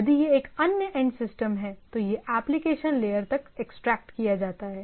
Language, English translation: Hindi, If it is a other end system, it gets extracted up to the application layer right